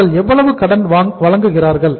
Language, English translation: Tamil, How much credit will they be providing